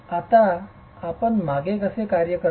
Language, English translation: Marathi, Now how do you work backwards